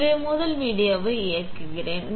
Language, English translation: Tamil, So, let me play the first video